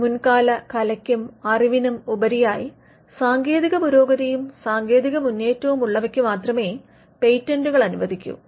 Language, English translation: Malayalam, Patents are granted only if there is a technical advancement and the technical advancement is made to the prior art or the prior knowledge